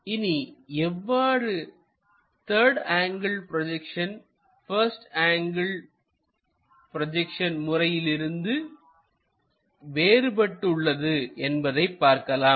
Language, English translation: Tamil, Let us look at how 3rd angle projection is different from 1st angle projection